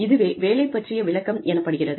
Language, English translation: Tamil, That is what, a job description is